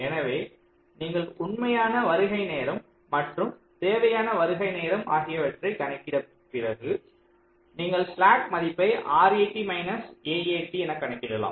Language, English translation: Tamil, so you have see, once you have calculated the actual arrival time and the required arrival time, you can also calculate this slack: r, eighty minus s e t